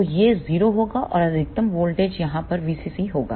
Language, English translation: Hindi, So, this will be 0 and maximum voltage over here will be V CC